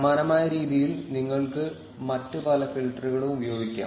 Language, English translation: Malayalam, You can use various other filters in similar fashion